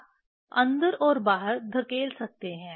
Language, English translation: Hindi, You can push in and out